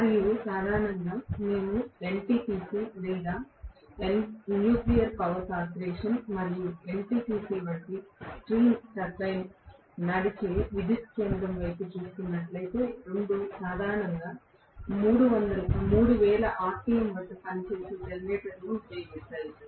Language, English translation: Telugu, And generally, if we are looking at the stream turbine driven power station like NTPC or NPC – Nuclear Power Corporation and NTPC, both of them generally use the generators which work at 3000 rpm